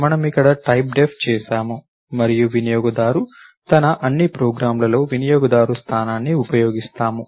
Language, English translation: Telugu, We done a typedef here and all that user uses a user position, in all hers programs